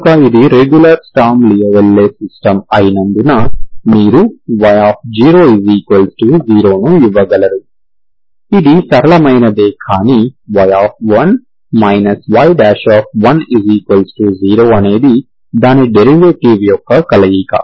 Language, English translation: Telugu, So because it is a regular sturm louisville system you can give, this is simpler one but this is a combination of its derivative